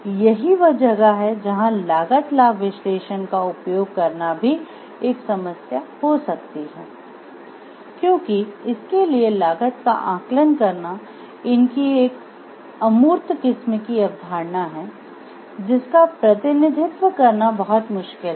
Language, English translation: Hindi, So, this is where like utilizing cost benefit analysis may be a problem because, estimating the cost for this the worth of these are abstract type of concepts it is very difficult